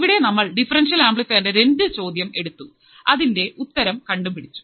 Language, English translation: Malayalam, So, we have taken two problems in which we have solved the differential amplifier right